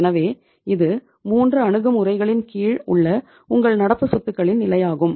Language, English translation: Tamil, So this is the level of your current assets under the 3 approaches